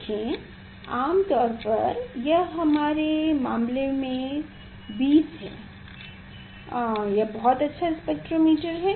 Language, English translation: Hindi, See, with generally, it is generally 20 in our case it is the very good spectrometers